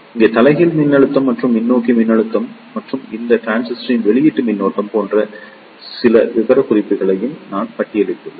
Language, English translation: Tamil, Here, I have also listed down few other specifications like reverse voltage and the forward voltage and the output current of these transistor